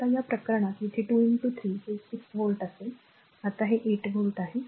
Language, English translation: Marathi, Now, in this case here it will be 2 into 3 that is equal to 6 volt right, now this is 8 volt